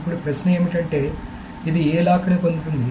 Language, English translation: Telugu, Now the question is which lock will it get